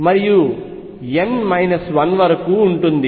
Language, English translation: Telugu, So, this is going to be 2 n